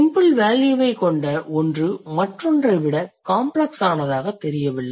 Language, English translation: Tamil, If the term has simpler value, it will be less complex than the other one